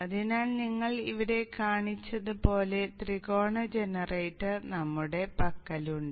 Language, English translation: Malayalam, So we have a triangle generator just like what we are shown here